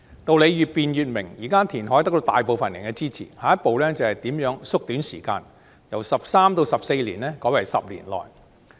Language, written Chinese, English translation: Cantonese, 道理越辯越明，現時填海得到大部分人的支持，下一步是如何縮短時間，由13年至14年改為10年內。, The more the truth is debated the clearer it will become . Reclamation is supported by the majority of the public . The next step is to study how to shorten the duration from 13 to 14 years to less than 10 years